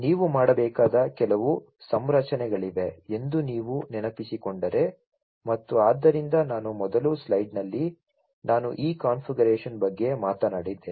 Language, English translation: Kannada, And if you recall that there is some configuration that you would have to make and so I earlier in the slide I talked about this configuration